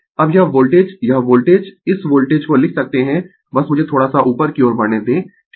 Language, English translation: Hindi, Now, this voltage this voltage ah this voltage we can write just let me move little bit up right